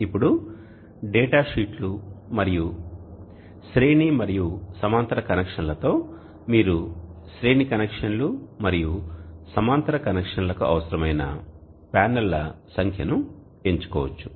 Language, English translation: Telugu, Now with data sheets and series parallel connection you can choose the number of panels that are needed for series connections and parallel connections